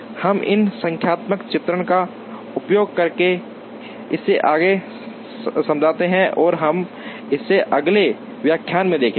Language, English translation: Hindi, We explain this further using a numerical illustration and we will see that in a next lecture